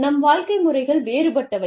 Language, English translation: Tamil, Our ways of living, were different